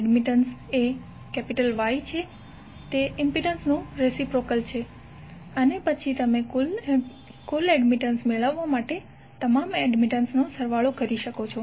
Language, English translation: Gujarati, Admittance is nothing but Y and it is reciprocal of the impedance jet and then you can some up to find out the admittance